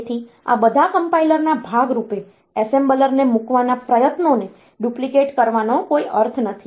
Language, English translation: Gujarati, So, there is no point in duplicating the effort of putting the assembler as a part of all these compilers